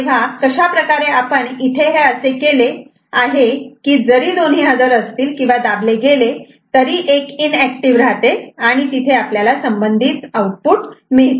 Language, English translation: Marathi, So, this is what actually is making, even if both are simultaneously present, is pressed this one inactive and you know the corresponding output will be there